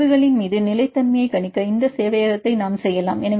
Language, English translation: Tamil, We can this server for predicting the stability upon mutations